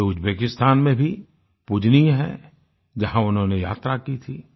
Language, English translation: Hindi, He is revered in Uzbekistan too, which he had visited